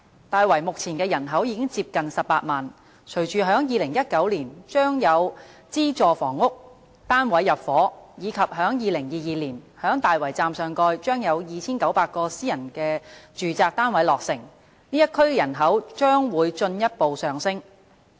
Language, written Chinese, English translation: Cantonese, 大圍目前的人口已接近18萬，隨着在2019年將有資助房屋單位入伙，以及在2022年在大圍站上蓋將有2900個私人住宅單位落成，該區人口將會進一步上升。, The present population of Tai Wai is already close to 180 000 . Upon intake by subsidized housing in 2019 and completion of 2 900 private residential units above the Tai Wai Station in 2022 the population of Tai Wai will increase further